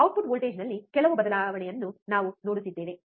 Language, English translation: Kannada, We are looking at some change in the output voltage